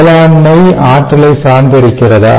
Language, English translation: Tamil, ok, so does agriculture depend on energy